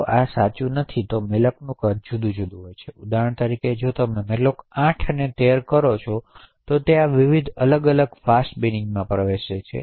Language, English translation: Gujarati, However this is not true if the sizes of the malloc are different for example if you do a malloc 8 and a malloc 13 these happen to fall in different fast bin entries